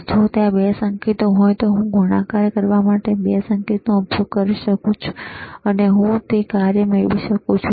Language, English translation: Gujarati, ifIf there are 2 signals, I can use 2 signals to multiply, and I can get that function